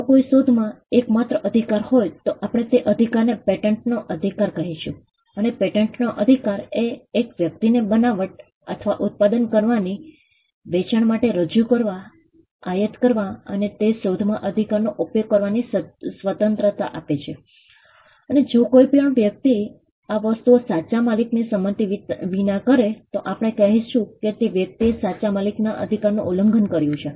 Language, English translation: Gujarati, If the exclusive right vests in an invention, we would call that right a patent right, and the patent right gives a person the liberty to make or manufacture to sell to offer for sale, to import, and to use the right in that invention, and any person who does these things without the consent of the right owner we would say that person has violated the right of the right owner